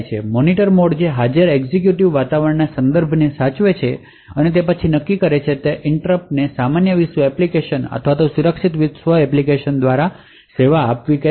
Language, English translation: Gujarati, The Monitor mode which saves the context of the current executing environment and then decide whether that interrupt can be should be serviced by a normal world application or a secure world application